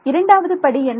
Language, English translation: Tamil, What is next step